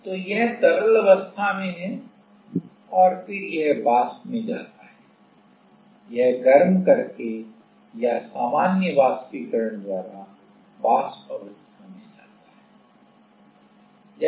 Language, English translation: Hindi, So, it is in liquid phase and then it goes to vapor evaporation, it goes to vapor phase by evaporation, just by heating it or like the normal evaporation